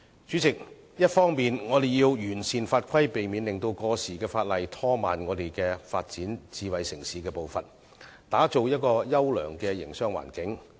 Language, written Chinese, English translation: Cantonese, 主席，我們必須完善法規，避免本港發展智慧城市的步伐被過時的法例拖慢，以致無法打造優良的營商環境。, President the laws and regulations must be perfected to prevent the pace of developing Hong Kong into a smart city from being slowed down by obsolete legislation thus making the creation of a favourable business environment impossible